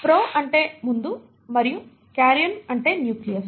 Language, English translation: Telugu, Pro means before, and karyon means nucleus